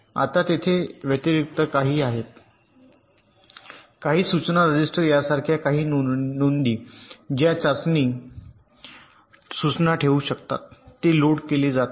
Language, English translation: Marathi, now in addition, there are some at some, some registers, like an instruction register which can whole the test instruction that is being loaded